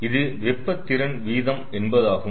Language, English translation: Tamil, so this is heat capacity rate